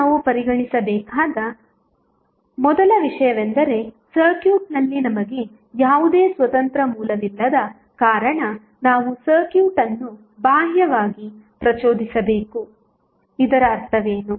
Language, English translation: Kannada, Now, first things what first thing which we have to consider is that since we do not have any independent source in the circuit we must excite the circuit externally what does it mean